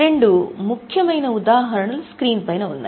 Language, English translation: Telugu, Two important examples are there on the screen